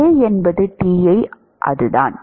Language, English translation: Tamil, A is Ti that is it